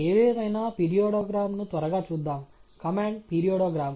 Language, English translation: Telugu, Anyway, so, let’s quickly look at the periodogram, the command is periodogram